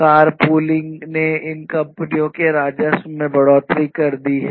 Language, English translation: Hindi, Car pooling has increased the revenues that can be earned by these companies